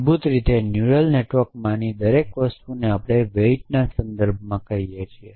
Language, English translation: Gujarati, A weight basically everything in a neural networks is we called it in terms of weight essentially